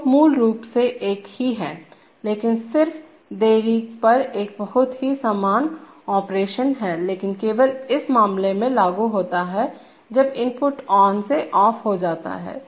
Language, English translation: Hindi, So basically the same but just the, just a very similar operation with on delay but only applicable in this case when the input goes from on to off